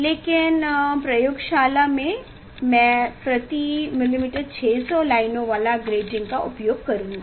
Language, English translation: Hindi, But present in laboratory I will use the 600 lines of lines per millimeter